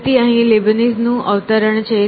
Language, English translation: Gujarati, So, here is a quote from Leibniz